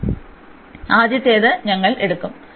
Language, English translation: Malayalam, So, we will take the first one